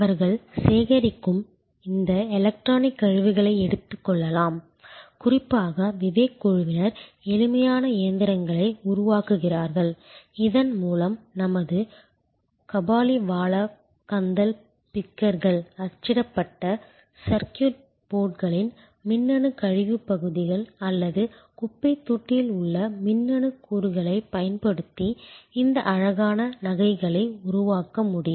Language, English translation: Tamil, And they can take this electronic waste which they collect and this group of students particularly Vivek develop simple machines by which our kabaliwalahs rag pickers can develop this beautiful jewelry using electronic waste parts of printed circuit boards or electronic components through in away garbage bin